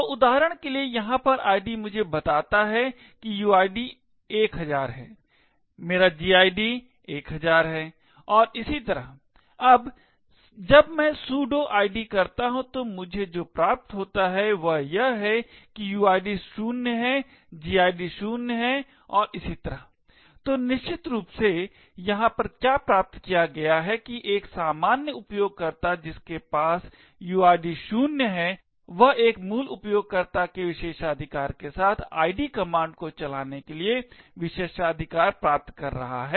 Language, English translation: Hindi, So for example id over here tells me that the uid is 1000, my gid is 1000 and so on, now when I do sudo id what I obtained is that the uid is 0, the gid is 0 and so on, so what essentially is obtained over here is that a normal user who has a uid of 0 is getting privileges to run the id command with a privilege of a root user